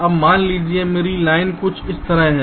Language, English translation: Hindi, so now the diagram will look something like this